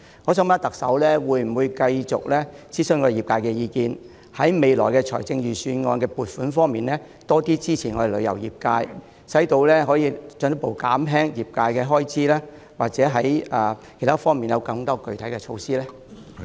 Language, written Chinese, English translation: Cantonese, 我想問，特首會否繼續諮詢業界意見，在未來財政預算案的撥款方面多些支持我們旅遊業界，以便進一步減輕業界的開支，或在其他方面推出更具體的措施呢？, May I ask the Chief Executive whether she will continue to gauge the views of the industry and provide more financial support to the tourism industry in the upcoming Budget so as to further reduce the expenses of the industry or introduce other more concrete measures?